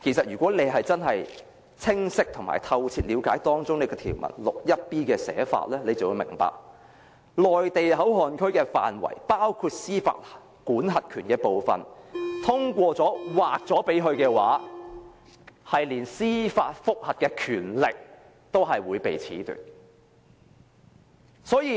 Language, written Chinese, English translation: Cantonese, 如果大家真的清晰兼透徹了解第 61b 條的寫法，便會明白，內地口岸區的管轄權包括司法管轄權，通過《條例草案》把該範圍劃給內地後，即連司法覆核的權力也被褫奪。, If we really have a clear and thorough understanding of the formulation of clause 61b we would realize that jurisdiction in MPA includes jurisdiction of the courts . After that area is designated to the Mainland upon the passage of the Bill that means even the power of judicial review will be taken away